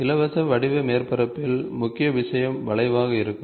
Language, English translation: Tamil, In free form surfaces the major thing is going to be the curve